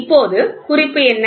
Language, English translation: Tamil, Now, what is the hint